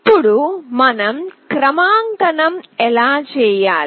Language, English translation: Telugu, Now, how do we do calibration